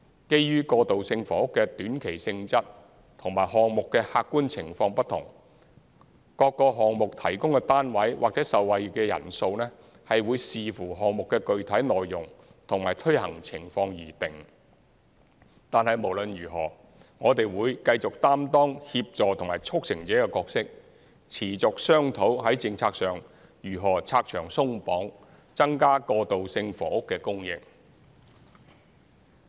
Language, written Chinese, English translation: Cantonese, 基於過渡性房屋的短期性質和項目的客觀情況不同，各個項目提供的單位或受惠的人數，會視乎項目的具體內容和推行情況而定，但無論如何，我們會繼續擔當協助和促成者的角色，持續商討在政策上如何拆牆鬆綁，增加過渡性房屋的供應。, Due to the short - term nature of transitional housing and the different objective conditions of the projects the number of units provided or the number of people benefited in each project will depend on its specific details and implementation conditions . Nevertheless we will continue to play the supporting and facilitating role explore ways to overcome obstacles related to the prevailing policies and expedite the provision of transitional housing